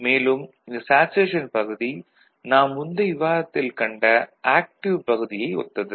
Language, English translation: Tamil, So, the saturation region is similar to active region in our earlier discussion